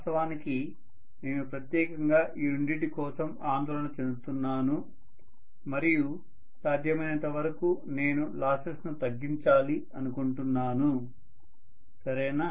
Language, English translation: Telugu, What I am worried specifically about are these two and I would like minimize the losses as much as possible, right